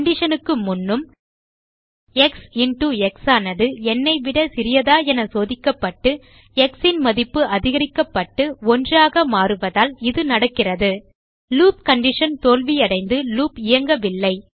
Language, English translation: Tamil, This happens because even before the condition x into x is less than n is checked, the value of x is incremented and it becomes 1 The loop condition fails and loop does not run